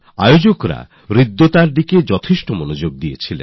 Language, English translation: Bengali, The organizers also paid great attention to cleanliness